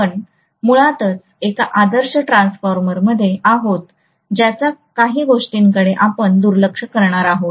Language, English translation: Marathi, So we are going to have basically in an ideal transformer we are going to neglect a few things